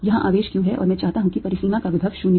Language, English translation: Hindi, here is the charge q, and i want potential of the boundary to be zero